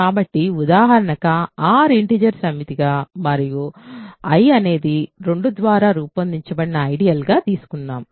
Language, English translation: Telugu, So, as an example let us take R to be the set of integers and I to be the ideal generated by 2